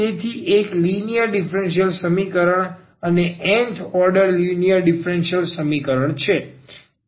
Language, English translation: Gujarati, So, it is a linear differential equation and nth order linear differential equation